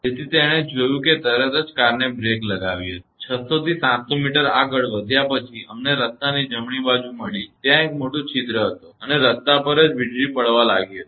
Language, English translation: Gujarati, So, seeing that he actually brake the car; well after moving 6 to 700 meter, we found the right of the road, there is a big hole and there was a lightning stroke on the road itself